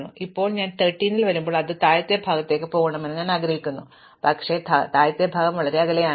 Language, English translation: Malayalam, So, now, when I come to 13, I find that it must going to the lower part, but the lower part is far away